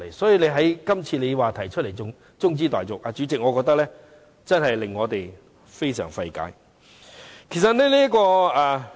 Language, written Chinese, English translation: Cantonese, 他今次提出中止待續議案，主席，我覺得令我們感到非常費解。, That he has proposed a motion on adjournment now is President most incomprehensible to us